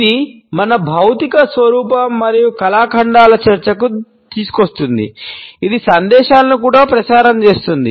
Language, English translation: Telugu, This brings us to the discussion of our physical appearance and artifacts which also transmits messages